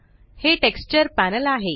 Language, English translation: Marathi, This is the Texture Panel